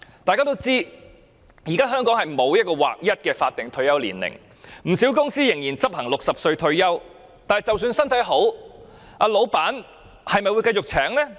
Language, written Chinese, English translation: Cantonese, 大家都知道，現時香港沒有劃一的法定退休年齡，不少公司仍然執行60歲退休，但即使長者身體好，老闆會繼續聘請嗎？, As we all know there is no statutory retirement age in Hong Kong . Many companies still set the retirement age at 60 . Will employers continue to hire elderly people even if their health condition allows?